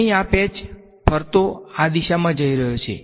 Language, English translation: Gujarati, In this patch, the swirl is going in this direction